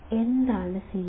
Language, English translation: Malayalam, What is CMRR